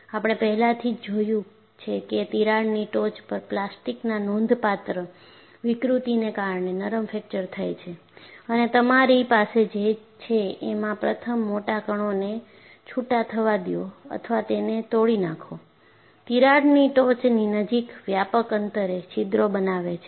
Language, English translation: Gujarati, We have seen already that ductile fracture occurs due to substantial plastic deformation at the crack tip, and what you have is, first the large particles, let loose or break, forming widely spaced holes close to the crack tip